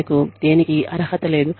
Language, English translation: Telugu, You do not deserve, anything